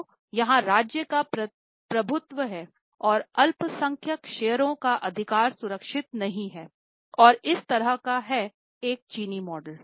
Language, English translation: Hindi, So, it's a dominance of a state and the minority shareholders' rights are not protected, they don't have much rights as such